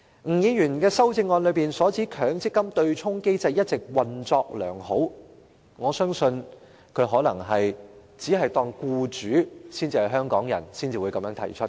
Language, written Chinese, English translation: Cantonese, 吳議員的修正案指強積金對沖機制一直"運作良好"，我相信他可能只把僱主視作香港人，才有這種說法。, According to Mr NGs amendment the MPF offsetting mechanism has all along been functioning effectively . I believe he has made such a remark probably because he just sees employers as Hongkongers